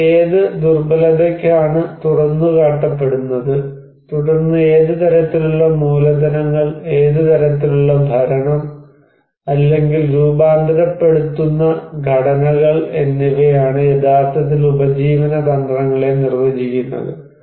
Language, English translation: Malayalam, So, what vulnerability I am exposed to, and then what kind of capitals and what kind of governance or transforming structures I have that actually define the livelihood strategies